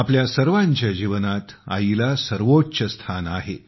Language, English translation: Marathi, In the lives of all of us, the Mother holds the highest stature